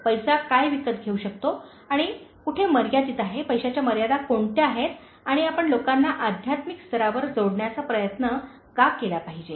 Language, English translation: Marathi, What money can buy and where it is limited, what are the limitations of money and why you should try to connect people at a spiritual level